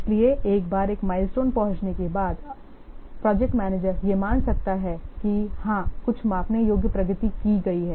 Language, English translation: Hindi, So, once a milestone is reached, the project manager can assume that yes, some measurable progress has been made